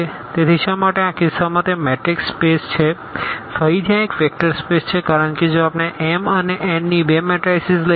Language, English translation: Gujarati, So, why in this case it is a matrix space again this is a vector space because if we take two matrices of what are m and n